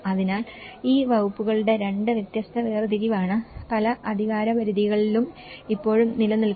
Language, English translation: Malayalam, So, this is the two different separation of these departments are still existing in many of the jurisdictions